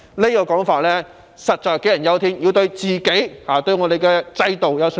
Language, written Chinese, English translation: Cantonese, 這種說法實在杞人憂天，我們要對自己、對我們的制度有信心。, These are groundless worries and we must have confidence in ourselves and our system